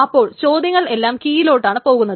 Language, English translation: Malayalam, So all the queries are on the keys only